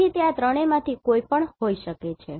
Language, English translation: Gujarati, So, it can be any of these three